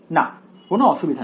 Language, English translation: Bengali, No there is no problem